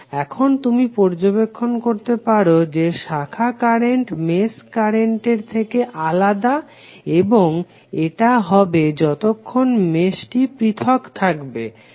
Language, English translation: Bengali, Now you can notice that the branch currents are different from the mesh currents and this will be the case unless mesh is an isolated mesh